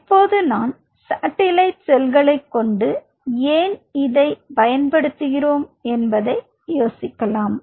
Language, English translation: Tamil, Now, you might wonder why we needed to use the satellite cells